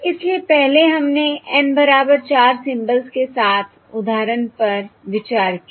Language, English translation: Hindi, So previously we considered example with N equal to four symbols